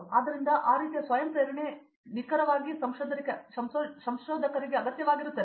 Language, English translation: Kannada, So, that kind of self motivation is what is exactly that is required for a researcher